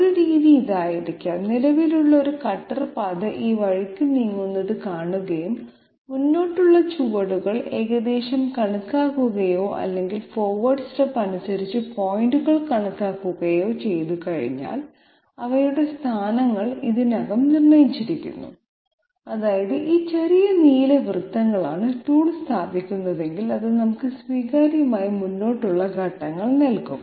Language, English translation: Malayalam, One method could be, once we see one existing cutter path moving this way and there are forward steps approximated or points calculated as per forward step, their locations are already determined that means these blue small blue circles are the positions at which if the tool is placed, it will give us acceptable forward steps that part is done